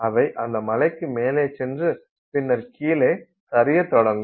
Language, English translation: Tamil, They have to go up that hill and then they start sliding down